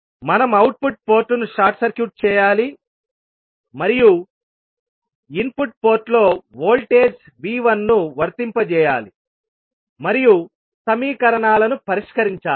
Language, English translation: Telugu, We have to short circuit the output port and apply a voltage V 1 in the input port and solve the equations